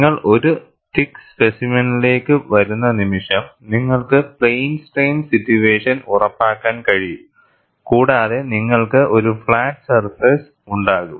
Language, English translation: Malayalam, The moment you come to a thick specimen, where you could ensure plane strain situation, you will have a flat surface